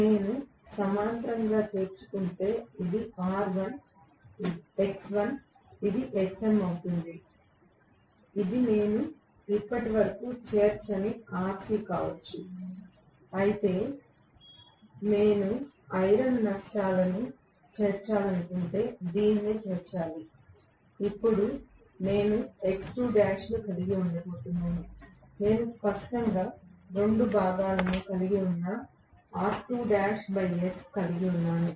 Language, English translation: Telugu, This was R1, X1 if I if I include the parallel, of course, this will be Xm this can be Rc which I have not included almost until now, but nevertheless if I want to include the ion losses, this should be included, then I am going to have X2 dash, I am going to have R2 dash by s which has two components clearly